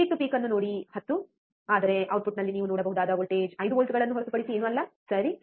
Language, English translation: Kannada, See peak to peak is 10, but the voltage that you can see at the output is nothing but 5 volts, alright